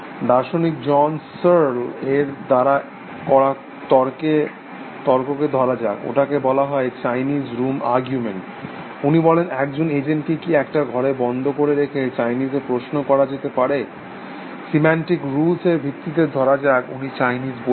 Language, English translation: Bengali, Let us together argument by philosopher John Searle, it is called the Chinese room argument, he says can an agent locked in a room processing questions in Chinese, based on a set of syntactic rules, be said to understand Chinese